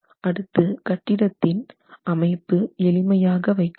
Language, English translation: Tamil, Then the building configuration has to be kept simple, right